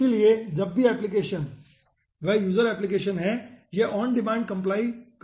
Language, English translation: Hindi, okay, so whenever applications, user applications are there, it will be doing the compilation on demand